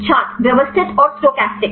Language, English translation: Hindi, Systematic and stochastic